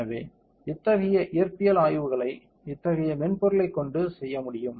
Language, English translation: Tamil, So, such physical studies can be performed with such software